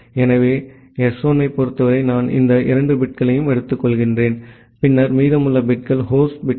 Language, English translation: Tamil, So, for S1, I am taking these 2 bits, and then the remaining bits are host bits